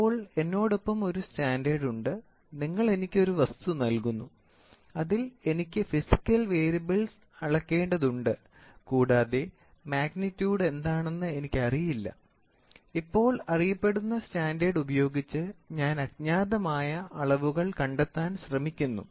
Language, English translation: Malayalam, So, between a predefined standard means to say I have a standard with me, you are giving me an object wherein which I have to measure that physical variable and I do not know what is the magnitude, now, with the known standard I try to measure the unknown magnitude of the variable and try to do the measurement